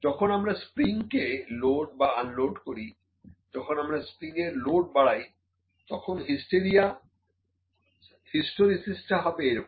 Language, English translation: Bengali, When we load or unload a spring when will load the spring; when the load is increasing the hysteresis is something like this